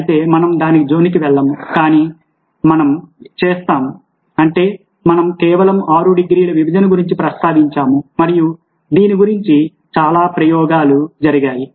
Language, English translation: Telugu, however, we will not going to that, but what we will do is talk about something which is we just mentioned, six degrees of separation, and a lot of experiments were done about this